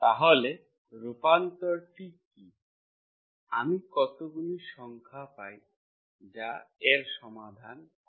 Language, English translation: Bengali, So what are the transformation, what are the numbers I get that solves this